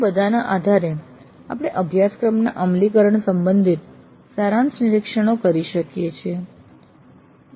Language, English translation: Gujarati, Based on all these we can make summary observations regarding the implement of the course